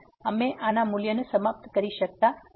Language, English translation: Gujarati, We cannot conclude the value of this one